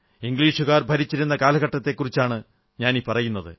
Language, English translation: Malayalam, And this all happened during the period of British rule